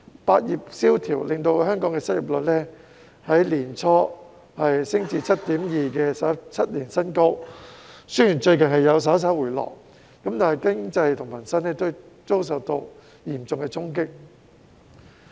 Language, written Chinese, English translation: Cantonese, 百業蕭條令香港失業率在年初升至 7.2% 的17年新高，雖然最近數字稍為回落，但經濟及民生均受到嚴重的衝擊。, The recession across industries has led to an unemployment rate of 7.2 % a record high in 17 years . Although the rate has dropped slightly recently the economy and peoples livelihood have been severely impacted